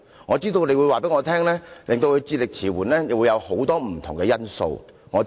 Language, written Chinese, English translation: Cantonese, 我知道你會告訴我，他智力遲緩有很多不同的因素。, I know you will tell me that his mental retardation can be caused by many different factors